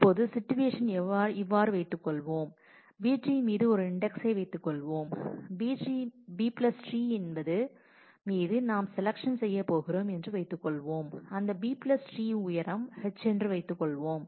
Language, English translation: Tamil, Now, if now let us assume that it is the situation is such that we have some index on the b tree B + tree that we are using to going to do the selection on and let us assume that h i is the height of that B+ tree